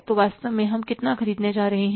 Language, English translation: Hindi, So how much we want to to keep that